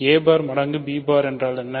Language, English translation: Tamil, What is a bar times b bar